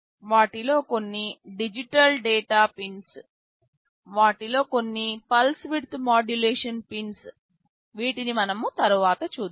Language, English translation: Telugu, Some of them are digital data pins, some of them are pulse width modulation pins; these we shall see later